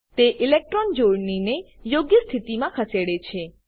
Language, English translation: Gujarati, It moves the electron pair to the correct position